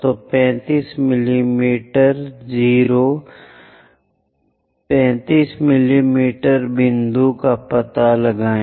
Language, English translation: Hindi, So, locate a point of 35 mm 0, 35mm